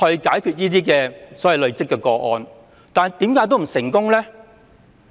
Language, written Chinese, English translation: Cantonese, 今次修例後是否必然會成功呢？, Will the problem be resolved after the legislative amendments are made?